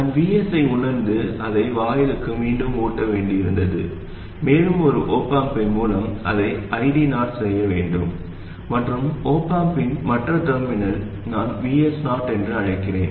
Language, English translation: Tamil, I had to sense VS and feed it back to the gate and I do it through an off amp and the other terminal of the off amp I call Vs0